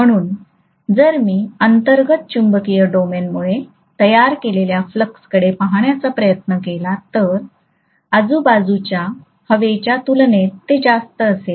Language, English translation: Marathi, So if I try to look at the flux that is created it due to the intrinsic magnetic domain, that will be much higher as compared to what is happening in the surrounding air